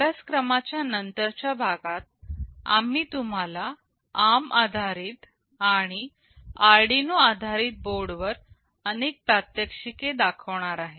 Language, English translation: Marathi, In the later part of this course, we shall be showing you lot of demonstration on ARM based and Arduino based boards